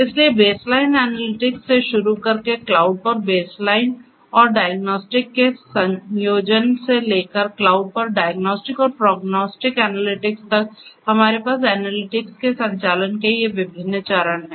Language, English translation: Hindi, So, starting from baseline analytics at the source to a combination of baseline and diagnostic at the edge to the diagnostic and prognostic analytics at the cloud we have these different phases of operations of analytics